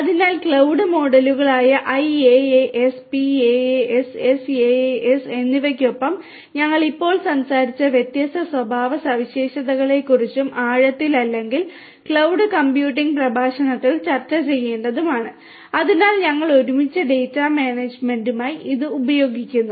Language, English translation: Malayalam, So, cloud models all these cloud models IaaS, PaaS, SaaS along with it is different characteristics that we just spoke about and to be discussed at in depth in or the cloud computing lectures so, together we are going to use it for the data management